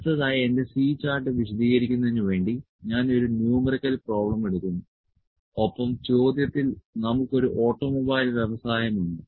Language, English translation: Malayalam, So, next I will take a numerical problem to elaborate my C chart and in the question we have in an automobile industry